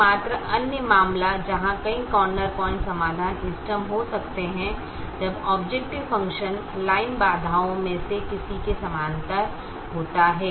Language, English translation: Hindi, the only other case where multiple corner point solutions can be optimum is when the objective function line is parallel to anyone of the constraints, so in in a two variable case